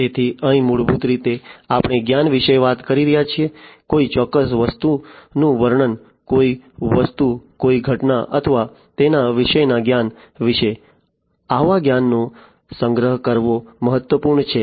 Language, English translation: Gujarati, So, here basically we are talking about the knowledge, the description of a certain thing, an object an event or something alike the knowledge about it; storing such kind of knowledge is important